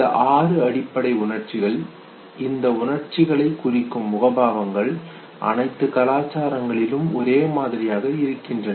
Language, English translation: Tamil, These six basic emotions, the facial expressions that represent these emotions they remain the same across the culture